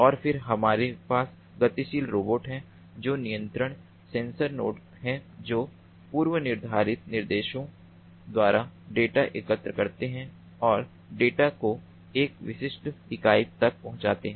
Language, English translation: Hindi, and then we have the mobile [robo/robots] robots, which are controllable sensor nodes that collect data by predefined instructions and deliver the data to a specific unit